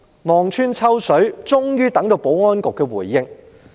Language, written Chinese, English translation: Cantonese, 望穿秋水，終於等到保安局的回應。, After waiting for a long time the Security Bureau finally replied